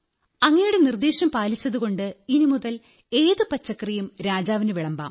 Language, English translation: Malayalam, Because of your suggestion now I can serve any vegetable to the king